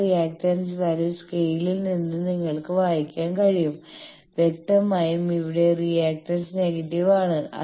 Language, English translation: Malayalam, That reactance value will be you can read from the scale that this is obviously, here it is the reactance is negative